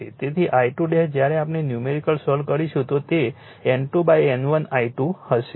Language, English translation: Gujarati, So, I 2 dash when you solve the numerical it will be N 2 upon N 1 I 2 this we will do